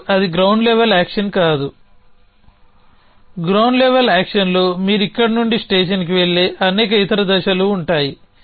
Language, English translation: Telugu, Now, that is not an which is the ground level action the ground level action would have many other steps that you go from here to the station you go the tree in an all this